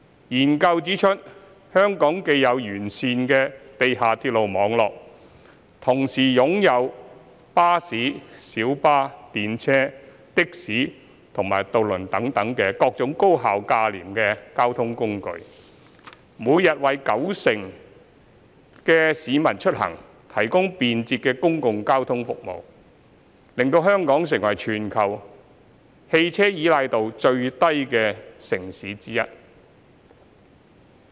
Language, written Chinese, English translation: Cantonese, 研究中指出，香港既有完善的地下鐵路網絡，同時擁有巴士、小巴、電車、的士和渡輪等各種高效價廉的交通工具，每天為九成市民出行提供便捷的公共交通服務，使香港成為全球汽車依賴度最低的城市之一。, The study points out that Hong Kong has a well - developed mass transit railway network and various kinds of highly efficient and inexpensive modes of transport such as buses minibuses trams taxis and ferries providing efficient and convenient public transport services to 90 % of daily commuters and making Hong Kong one of the least car - dependent cities in the world